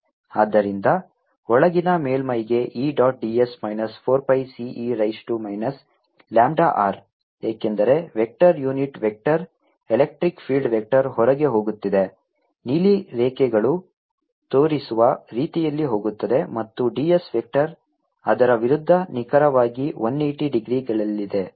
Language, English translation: Kannada, so e dot d s for the inner surface is going to be minus four pi c e raise to minus lambda r, because the vector unit vector, the electric field vector, is going out, going the way that the blue lines are showing, and the d